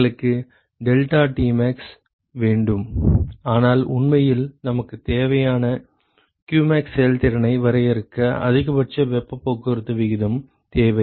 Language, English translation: Tamil, We want deltaTmax, but really to define efficiency what we need is qmax we need the maximum possible heat transport rate